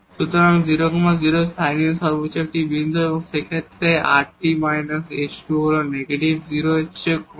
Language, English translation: Bengali, So, 0 0 is a point of local maximum and in this case this is rt minus s square is negative less than 0